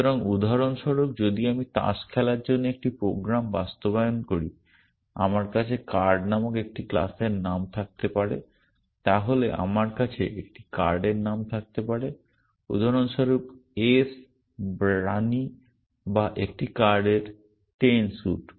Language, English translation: Bengali, So, for example, if I am implementing a program to play cards, I might have a class name called card then I might have a name of a card for example, ace or queen or 10 the suit of a card